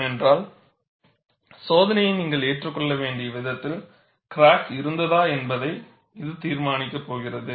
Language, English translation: Tamil, Because, that is going to decide whether the crack was in the way it should be, for you to accept the test